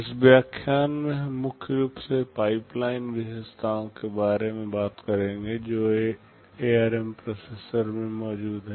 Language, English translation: Hindi, In this lecture, we shall be mainly talking about the pipeline features that are present in the ARM processor